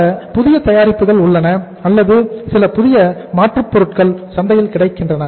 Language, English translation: Tamil, There is some new products or some new alternatives are available in the market